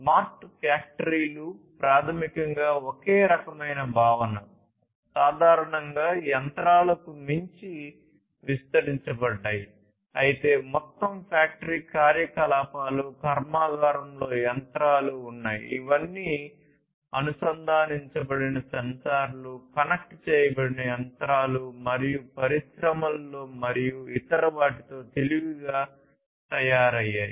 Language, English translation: Telugu, It is basically similar kind of concept extended beyond simple machinery, but you know having the entire factory operations, machinery in the factory, all of which made smarter with the introduction of connected sensors, connected machines and so on in the industries and so on